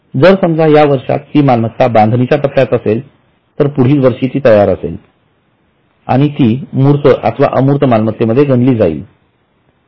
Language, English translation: Marathi, Because this year, suppose it is under construction or under development, next year it will be ready and it would have gone into tangible or intangible asset